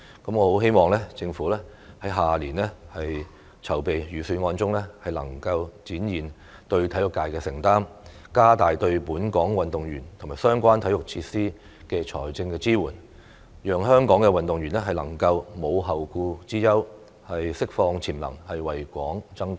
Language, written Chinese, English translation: Cantonese, 我很希望政府明年籌備預算案時能展現對體育界的承擔，加大對本港運動員和相關體育設施的財政支援，讓香港運動員能夠無後顧之憂，釋放潛能，為港爭光。, I very much hope that the Government will when preparing the Budget next year demonstrate its commitment to the sports sector and enhance the financial assistance to local athletes and related sports facilities so that Hong Kong athletes can leave their worries behind unleash their potential and bring glory to Hong Kong